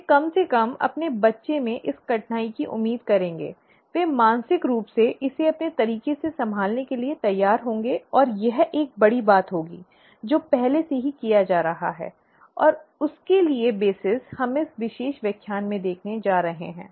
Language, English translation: Hindi, They will be atleast expecting this difficulty in their child, they would be mentally prepared to handle it and so on and so forth in , in their own ways, and that would be, that is a big thing, that is already being done, and that is a very big thing and the basis for that is what we are going to see in this particular lecture